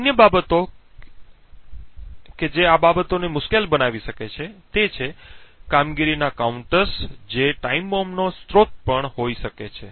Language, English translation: Gujarati, Other aspects which may make things difficult is the performance counters which may also be a source of time bombs